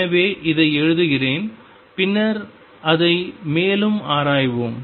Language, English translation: Tamil, So, let me just write it and then we will explore it further